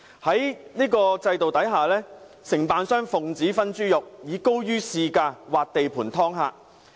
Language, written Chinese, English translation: Cantonese, 在這種制度下，承辦商奉旨"分豬肉"，以高於市價劃地盤"劏客"。, Under such a system DCs take it for granted that they share the pie and encircle spheres of influence where they charge prices higher than market levels to rip off customers